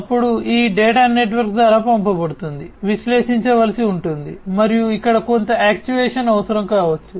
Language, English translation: Telugu, Then this data, so this data that is being sent through the network will have to be analyzed and some actuation may be required over here